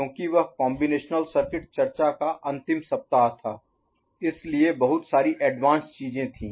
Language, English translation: Hindi, Because that was the last week of the combinatorial circuit discussion, so lot of advanced things were there